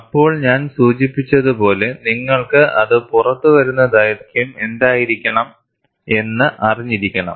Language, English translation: Malayalam, Then, as I mentioned, you also need to have, what should be the length that it comes out